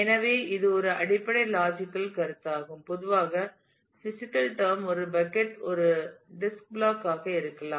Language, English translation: Tamil, So, that is the basic logical concept typically in physical terms a bucket can be a disk block